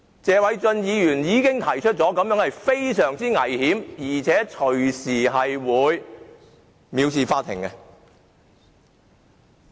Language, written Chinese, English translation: Cantonese, 謝偉俊議員已指出，這個做法非常危險，隨時會被視作藐視法庭。, As Mr Paul TSE has pointed out this move is very risky and can be regarded as contempt of court at any time